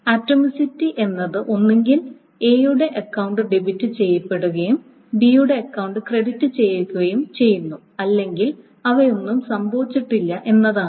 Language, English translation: Malayalam, So, Atomicity as has been saying that either A's account is debited and B's account is credited or none of them has happened